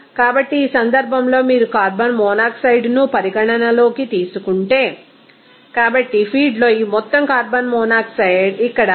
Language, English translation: Telugu, So, in this case you will see that if we consider that carbon monoxide, so, in the feed this amount of carbon monoxide is here 1